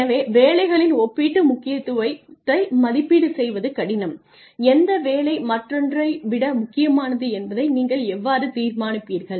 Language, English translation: Tamil, So, evaluation of relative importance of jobs is difficult, how do you decide which job is more important than another